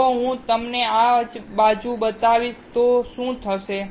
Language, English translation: Gujarati, So, what will happen if I show you this side